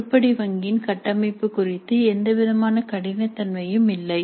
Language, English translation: Tamil, There is no rigidity about the structure of the item bank